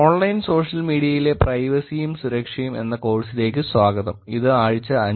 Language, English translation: Malayalam, Welcome back to the course Privacy and Security in Online Social Media, this is week 5